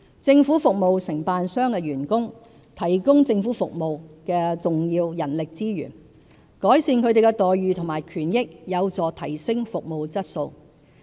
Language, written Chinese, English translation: Cantonese, 政府服務承辦商的員工是提供政府服務的重要人力資源，改善他們的待遇和權益有助提升服務質素。, The employees of government service contractors are an important source of human resources in the provision of government services . Improving their employment terms and conditions as well as labour benefits can help enhance service quality